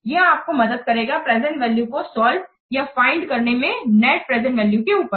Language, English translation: Hindi, This will help you for solving or for finding out the present values and the next present values